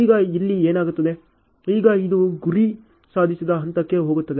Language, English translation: Kannada, Now what happens here is, now this has gone to the target accomplished stage ok